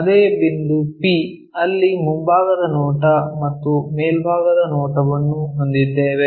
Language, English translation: Kannada, The same point p, where we have both the front view and top view